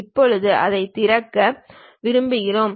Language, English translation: Tamil, Now, we would like to open it